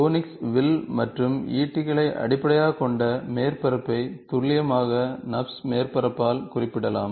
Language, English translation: Tamil, Surface based on conics arcs and spears can be precisely represented by NURBS